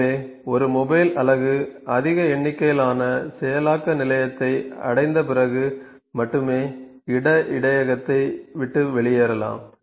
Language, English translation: Tamil, So, a mobile unit may only leave the place buffer after it has reach the processing station with the highest number